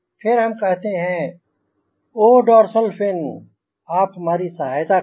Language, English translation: Hindi, again, you say, oh, dorsal fin, you help us